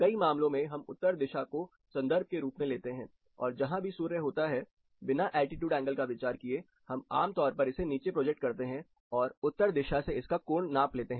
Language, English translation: Hindi, In many cases, you take north as a reference and wherever the sun’s position, irrespective of its altitude angle where it is located, you typically project it down and take the angle difference between or the angle subtended from north